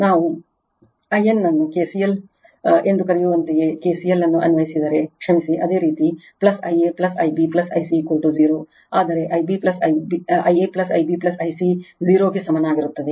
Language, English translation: Kannada, Also I n is equal to sorry if you apply KCL your what we call KCL, you will get in plus I a plus I b plus I c is equal to 0, but I a plus I b plus I c equal to 0